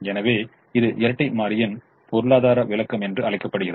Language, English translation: Tamil, so this is called economic interpretation of the dual